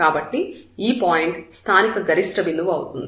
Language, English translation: Telugu, So, this is a point of local maximum